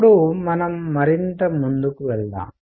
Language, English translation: Telugu, Now, let us go further